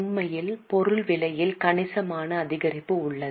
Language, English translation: Tamil, In fact there is substantial increase in the cost of material